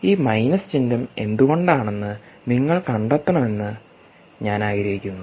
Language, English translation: Malayalam, i also want you to figure out why this minus sign is there